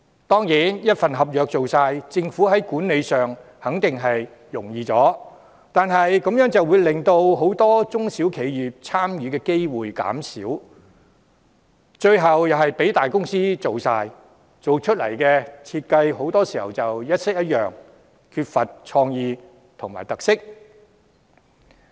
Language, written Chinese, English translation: Cantonese, 當然，由一份合約包辦，政府管理上肯定會較容易，但如此一來，很多中小企的參與機會便減少，最後又是由大公司承辦，工程設計很多時一式一樣，缺乏創意和特色。, Of course it will definitely be easier for the Government to manage if all projects are incorporated under one contract . However in that case many SMEs will have fewer opportunities to take part . In the end all projects will again be undertaken by big companies whose project designs are very often identical and lacking in innovation and characteristics